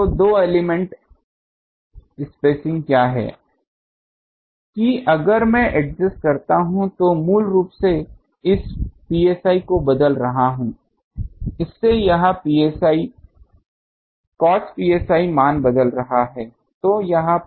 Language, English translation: Hindi, So, two elements what is the spacing that if I adjust I am changing basically this psi and from that this cos psi value is changing